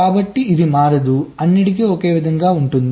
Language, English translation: Telugu, so it doesnt change, it remains all ones